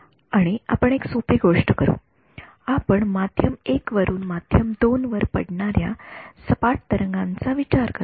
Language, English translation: Marathi, And, we will do a simple thing we will consider a plane wave that is you know falling on to from medium 1 on to medium 2 ok